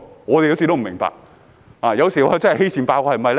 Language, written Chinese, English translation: Cantonese, "我也不明白，有時是否因為欺善怕惡呢？, I have no idea . Is it sometimes because the authorities bully the weak and fear the strong?